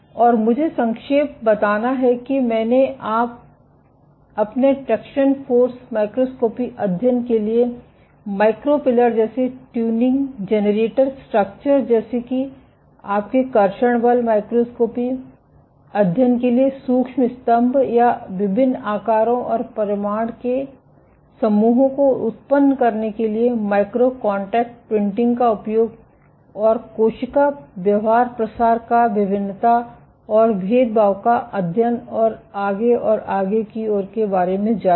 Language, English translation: Hindi, So, with that I stop my lectures here and I to summarize I have discussed how you can make use of soft lithography or microfabrication, for tuning generating structures like micro pillars for your traction force microscopy studies or using micro contact printing to generate islands of different sizes and shapes, and study cell behaviors beat spreading survival proliferation differentiation so on and so forth